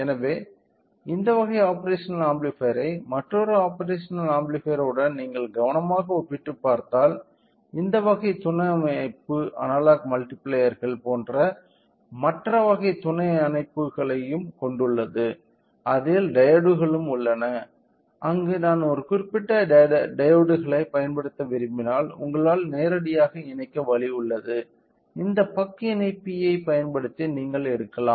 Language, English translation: Tamil, So, if you carefully look into that along with this other type of operational amplifier other type of subsystem this type of subsystem it also has other type of subsystems like analogue multipliers, it also has diodes where if I want to use a particular diodes we have an option where you can directly connect and you can tap by using this buck connectors